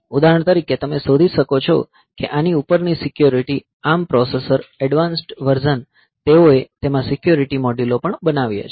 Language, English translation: Gujarati, For example, you can find that the securities over this, ARM processor, the advanced version they even have got the security modules built into it